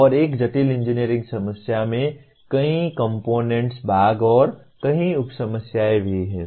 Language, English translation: Hindi, And also a complex engineering problem has several component parts and several sub problems